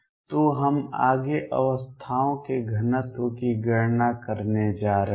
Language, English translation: Hindi, So, that is what we are going to calculate next, the density of states